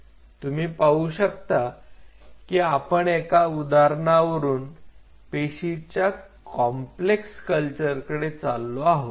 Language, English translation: Marathi, So, you see now slowly we are moving with one example we are moving to the complexity of cell culture